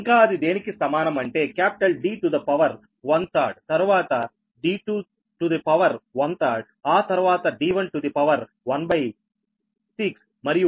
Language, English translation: Telugu, one third, that is one third so is equal to it is d to the power, one third, then d two to the power, one third, then d, one to the power, one by six and d five to the power, one by six, right